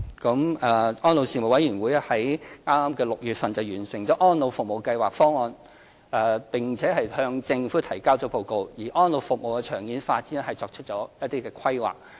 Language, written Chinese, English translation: Cantonese, 安老事務委員會剛於今年6月完成《安老服務計劃方案》，並向政府提交報告，就安老服務的長遠發展作出規劃。, The Elderly Commission just completed formulating the Elderly Services Programme Plan ESPP this June and has submitted the report to the Government to put forward a plan for developing elderly care services in the long run